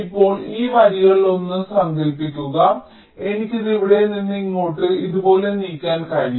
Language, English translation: Malayalam, now suppose this one of this lines i can move it to here from here, like this